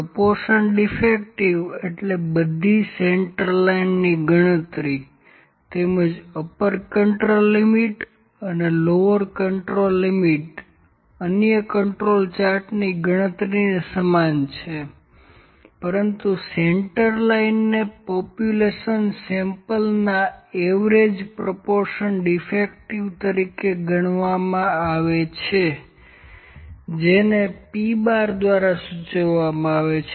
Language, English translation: Gujarati, Proportion defective means, the computation of central line as well as the upper and lower control limit is similar to the computation of the other control chart, but the centerline is computed as the average proportion defective in the population that is denoted by P bar